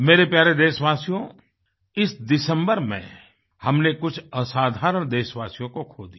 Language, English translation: Hindi, My dear countrymen, this December we had to bear the loss of some extraordinary, exemplary countrymen